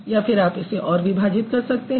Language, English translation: Hindi, It can actually be broken further